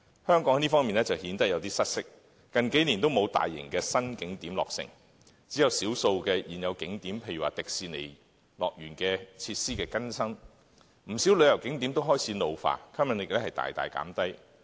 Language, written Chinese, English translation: Cantonese, 香港在這方面就顯得有點失色，近幾年都沒有大型的新景點落成，只有少數現有景點，例如需更新設施的迪士尼樂園，而且不少景點都開始老化，吸引力大大減低。, Hong Kong pales in comparison . No new large - scale tourist attraction has developed in the past few years and some of the existing attractions need to upgrade their facilities such as the Hong Kong Disneyland . Besides many attractions show signs of ageing and have lost their appeal